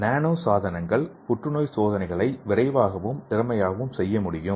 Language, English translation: Tamil, So let us see another example, so here the nano devices can make cancer tests faster and more efficient